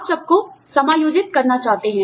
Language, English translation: Hindi, You want to accommodate everybody